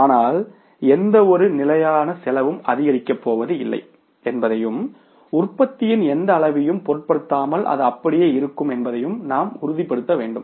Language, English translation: Tamil, But we will have to make sure there also that no fixed cost is going to increase and it is going to remain the same irrespective of the any level of the production